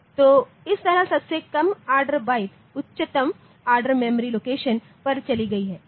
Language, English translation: Hindi, So, that way the lowest order byte has gone to the highest order memory location